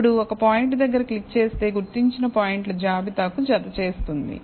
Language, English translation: Telugu, Now, click it near a point, adds it to the list of the identified points